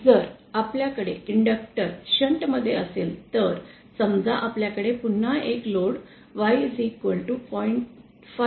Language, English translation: Marathi, If we have an inductor in shunt, suppose we again have a load Y equal to 0